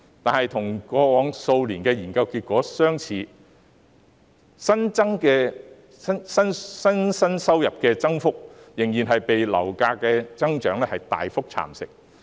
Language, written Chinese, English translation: Cantonese, 可是，與過往數年的研究結果相似，新生代收入的增幅仍然被上升的樓價大幅蠶食。, However similar to the study findings in the past few years the growth in income of the new generation is still being eroded substantially by rising property prices